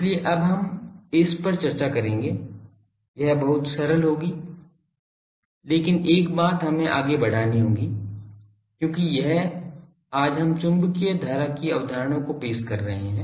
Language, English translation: Hindi, So, based on that we will now discuss that; the thing it will be very simplified, but one thing we will have to proceed because this is today we introduce the concept of magnetic current